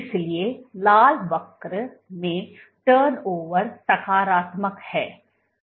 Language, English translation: Hindi, So, the red curve, the turnover is positive